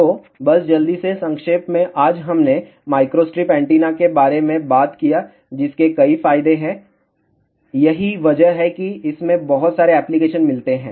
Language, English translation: Hindi, So, just to quickly summarize today we talked about microstrip antenna which has several advantages that is why it finds lot of applications